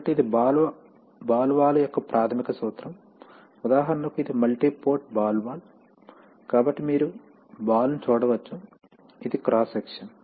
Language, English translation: Telugu, So this is the basic principle of a ball valve, for example this is a multi port ball valve, so you can see the ball, this is that this is a cross section